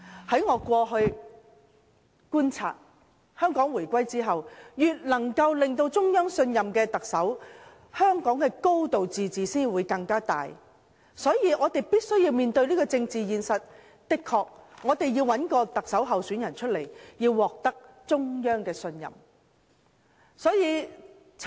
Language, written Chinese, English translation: Cantonese, 據我過去的觀察，自香港回歸後，特首越能獲得中央信任，香港便越能夠"高度自治"；這是我們必須面對的政治現實，我們確實要找一位獲得中央信任的特首候選人。, From my previous observations after the unification if the Chief Executive could gain greater trust of the Central Authorities Hong Kong would enjoy a higher degree of autonomy . This is the political reality we must accept . We must have a candidate trusted by the Central Authorities